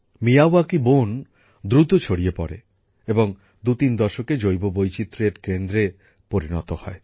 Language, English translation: Bengali, Miyawaki forests spread rapidly and become biodiversity spots in two to three decades